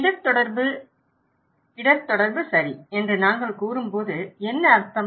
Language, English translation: Tamil, Risk communication, what does it mean when we say risk communication okay